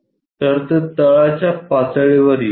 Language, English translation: Marathi, So, that comes at bottom level